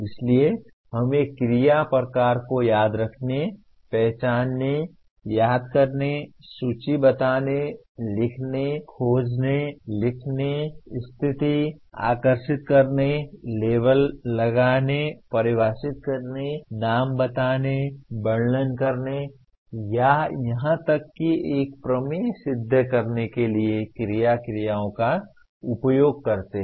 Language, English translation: Hindi, So we use the action verbs to indicate a remember type of activity, recognize, recall, list, tell, locate, write, find, mention, state, draw, label, define, name, describe, or even prove a theorem